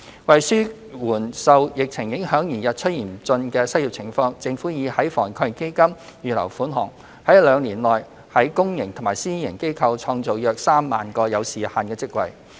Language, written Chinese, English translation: Cantonese, 為紓緩受疫情影響而日趨嚴峻的失業情況，政府已在防疫抗疫基金預留款項，在兩年內於公營及私營機構創造約 30,000 個有時限的職位。, To relieve the worsening unemployment situation due to the epidemic the Government has earmarked funding provision under AEF to create 30 000 time - limited jobs in the public and private sectors in the coming two years